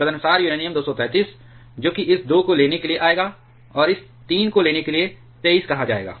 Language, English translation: Hindi, Accordingly say uranium 233, that will take come taking this 2, and taking this 3 will be called 23